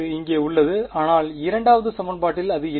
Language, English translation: Tamil, In region 1 in V 1 right that is why it is there here, but in the 2nd equation it is not there ok